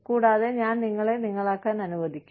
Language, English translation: Malayalam, And, I will let you, be